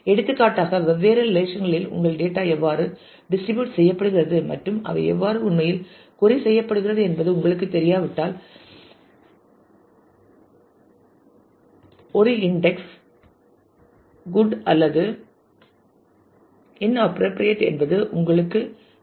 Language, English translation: Tamil, For example, if you are not sure as to how your data is getting distributed in different relations and how really they are queried you would not know whether an index is good or it is inappropriate